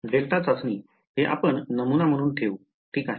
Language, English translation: Marathi, Delta testing; we’ll keep this as the prototype alright